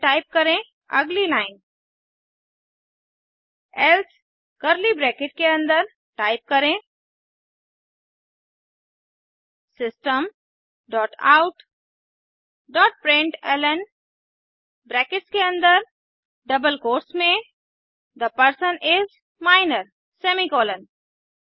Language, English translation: Hindi, Then type,next line else within curly brackets type System dot out dot println within bracketsin double quotes The person is Minor semi colon